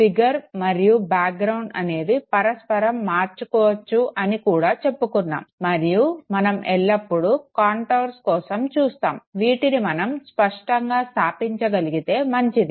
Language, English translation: Telugu, We also said that figure and background could be interchangeable and we always look for contours, if we are able to establish it well in good